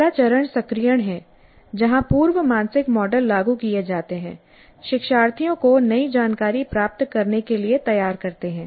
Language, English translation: Hindi, So the first phase is activation where the prior mental models are invoked, preparing the learners to receive the new information